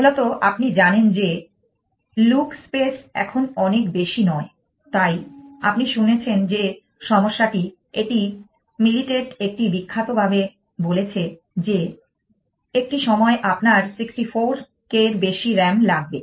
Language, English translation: Bengali, Essentially, you know look space is now days is not so much, so, problem you had a heard this is militates famously supposed to has said a some point that who will need more than 64 k of RAM